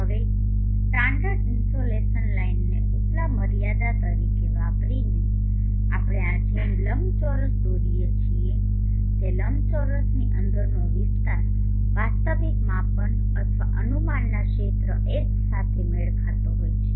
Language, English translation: Gujarati, Now using the standard insulation line as the upper limit, we can draw a rectangle like this such that the area within the rectangle is matching the area H of the actual measurement or estimation